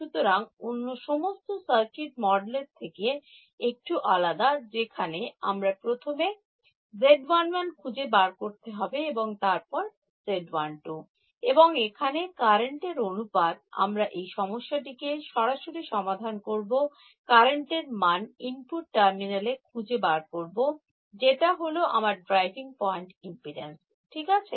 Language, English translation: Bengali, So, I do not it slightly different from this circuit model where I need to first find out Z 1 1 then Z 1 2 and the ratio of currents here, I am directly solving this problem finding out the current at the input terminal that is my driving point impedance right